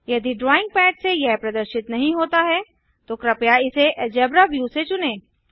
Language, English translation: Hindi, If it is not visible from the drawing pad please select it from the algebra view